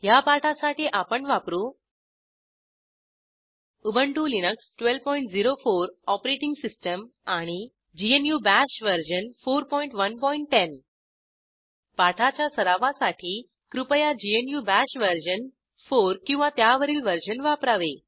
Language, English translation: Marathi, For this tutorial I am using * Ubuntu Linux 12.04 OS * GNU Bash version 4.1.10 GNU Bash version 4 or above is recommended for practise